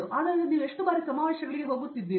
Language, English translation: Kannada, So, how often have you been going to conferences